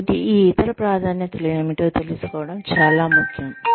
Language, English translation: Telugu, So, knowing what these, other priorities are, is very important